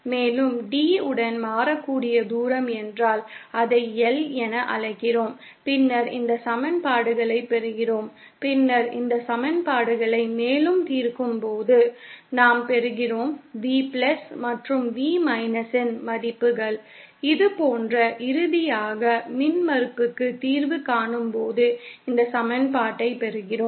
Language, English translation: Tamil, And if the variable distance along D, we call that as L, then we get these equations and then on further solving these equations, we get the values of V+ and V as this and then finally on solving for the impedance, we get this equation